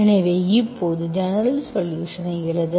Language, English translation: Tamil, So now we will write the general solution